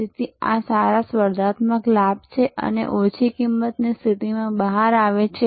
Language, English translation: Gujarati, So, these are good competitive advantage that come out of the low cost position